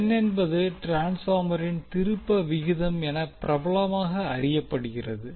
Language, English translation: Tamil, n is popularly known as the terms ratio of the transformer